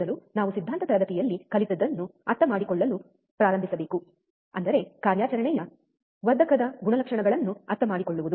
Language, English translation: Kannada, First we should start understanding what we have learned in the theory class; that is, understanding the characteristics of an operational amplifier